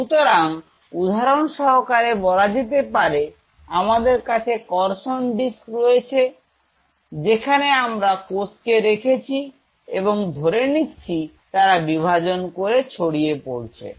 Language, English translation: Bengali, So, say for example, I have a cultured dish here where I have these cells which are sitting and suppose they are dividing and spreading further